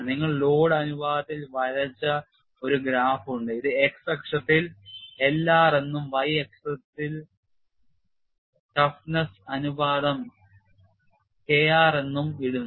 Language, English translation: Malayalam, And the basic procedure is as follows: You have a graph drawn between load ratio which is put as L r in the x axis and toughness ratio K r in the y axis